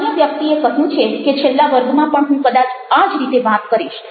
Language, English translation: Gujarati, the last class was probably would talk in the same way